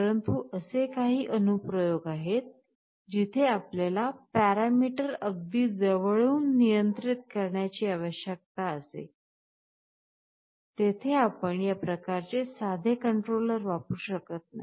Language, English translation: Marathi, But, there are some applications where you need to control the parameter very closely, there you cannot use this kind of a simple controller